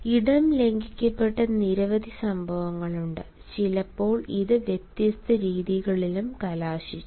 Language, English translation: Malayalam, there have been many instances where space has been violated and sometimes it has also resulted in different ways